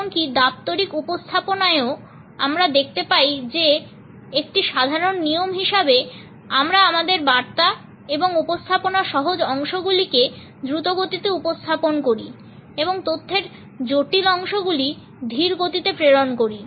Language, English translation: Bengali, Even in official presentation we find that as a general rule we present the easy portions of our message and presentation in a faster speed and the complicated parts of the information are passed on in a slow manner